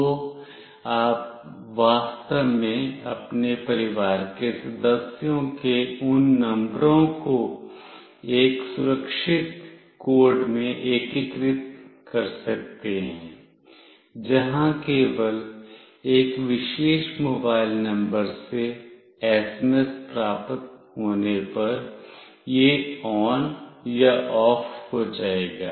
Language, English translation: Hindi, So, you can actually integrate those numbers of your family member in a secure code, where only it will be on or off if the SMS is received from a particular mobile number